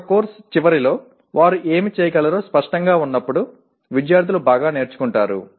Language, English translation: Telugu, Students learn well when they are clear about what they should be able to do at the end of a course